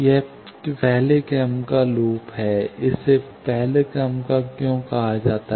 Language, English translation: Hindi, This first order loop, why it is called first order